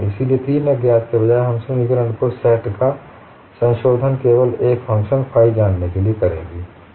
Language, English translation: Hindi, So, instead of three unknowns, we would modify the set of equations to determine only one function phi